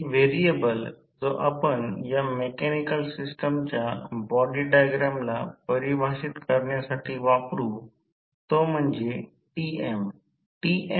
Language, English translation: Marathi, The variable which we will use to define free body diagram of this mechanical system